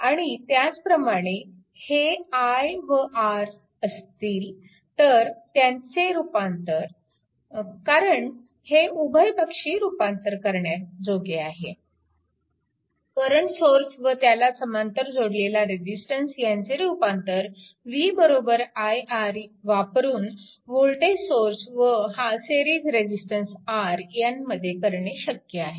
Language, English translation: Marathi, And from the same thing, the if it is your i L it is R, the represent this one that from your bilateral from this current source and this parallel resistance, you can make it v is equal to i R, this is the voltage source and with v this R is in series right